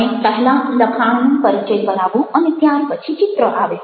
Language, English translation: Gujarati, you can have the text introduced first and then the image can follow